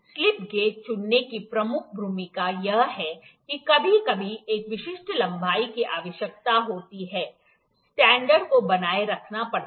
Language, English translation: Hindi, The major role of picking slip gauges is that sometimes the requirement at a specific length requirement is there, the standard has to be maintained